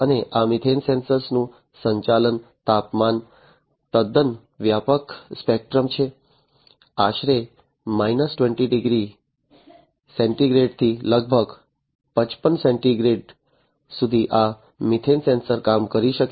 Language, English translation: Gujarati, And the operating temperature of this methane sensor is quite broad spectrum; from roughly about minus 20 degrees centigrade to about plus 55 degree centigrade, this methane sensor can work